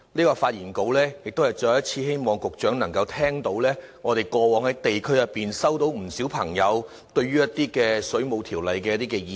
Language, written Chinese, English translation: Cantonese, 我發言是希望局長能再次聽到，我們過往在地區上接獲不少市民對《水務設施條例》所發表的意見。, I speak to relay to the Secretary once again the views of residents on the Waterworks Ordinance which I have received during the district work